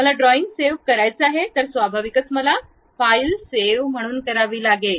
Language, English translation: Marathi, I would like to save the drawing, then naturally I have to go file save as